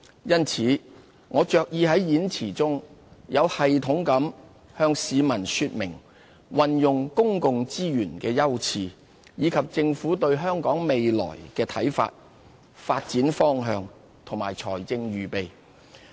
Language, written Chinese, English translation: Cantonese, 因此，我着意在演辭中有系統地向市民說明運用公共資源的優次，以及政府對香港未來的看法、發展方向和財政預備。, Therefore in preparing the speech I have placed much emphasis on explaining in a more systematic way the Governments priorities in using public resources as well as our visions for the future development direction and financial planning